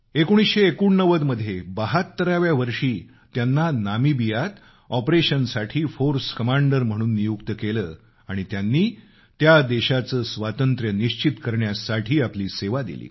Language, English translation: Marathi, In 1989, at the age of 72, he was appointed the Force Commander for an operation in Namibia and he gave his services to ensure the Independence of that country